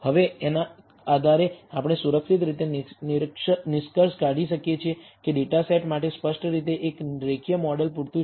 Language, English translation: Gujarati, Now based on this we can safely conclude that data set one clearly a linear model is adequate